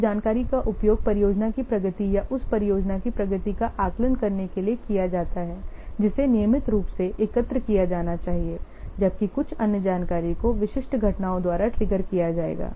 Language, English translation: Hindi, Some information are used to assess project progress or the progress of the project that should be collected routinely while some other information will be triggered by specific events